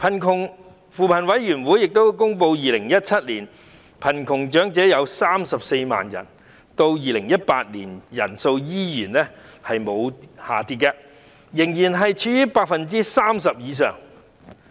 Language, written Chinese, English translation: Cantonese, 據扶貧委員會公布 ，2017 年貧窮長者有34萬人，長者貧窮率仍高達 30% 以上。, As announced by the Poverty Alleviation Committee there were 340 000 poor elders in 2017 meaning that elderly poverty was still at a high rate of over 30 %